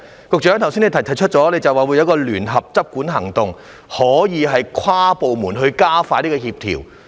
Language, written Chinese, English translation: Cantonese, 局長剛才提出會有聯合執管行動，可以跨部門加快協調。, As indicated by the Secretary just now joint enforcement actions will be taken and inter - departmental coordination will be expedited